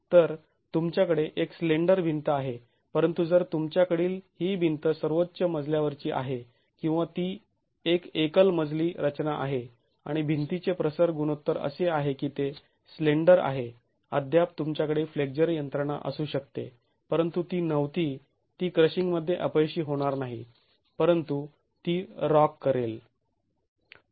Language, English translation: Marathi, So, you have a slender wall but if you have this is a top story wall or if it is a single story structure and the wall aspect ratio is such that it is slender, you can still have a flexual mechanism but it will not fail in crushing but it will rock